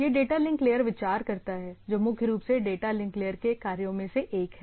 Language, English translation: Hindi, So, this is the data link layer consideration, primarily one of the functions which it does